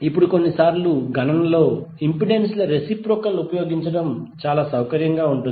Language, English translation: Telugu, Now sometimes it is convenient to use reciprocal of impedances in calculation